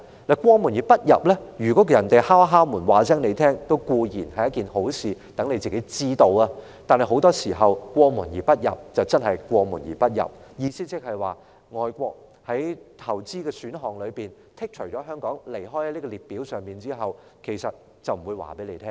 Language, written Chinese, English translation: Cantonese, 如果他們在經過時敲門告知我們，這還算是一件好事，至少讓我們知道情況，但是，很多時候，他們真的是過門而不入，意思即是外國的資金在其投資的選項中剔除了香港，而之後，他們是不會告訴我們。, If they stop by and knock on our door to tell us what is happening it is somehow a good thing because at least we are informed but more often than not they really skip our door which means that foreign funds excludes Hong Kong from their investment options and they will not inform us afterwards